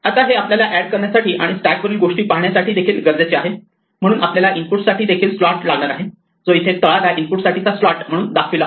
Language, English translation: Marathi, Now this requires us to also add and view things from the stack, so we also have a slot for input which is shown as a kind of a thing at the bottom here we have the slot for input